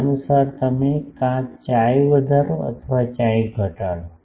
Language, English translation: Gujarati, Accordingly, you either increase chi or decrease chi